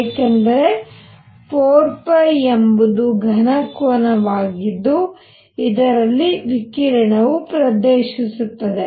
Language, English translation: Kannada, Because 4 pi is the solid angle into which radiation all this is going